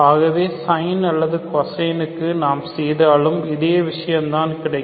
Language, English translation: Tamil, So you do cosine or sin, you get the similar thing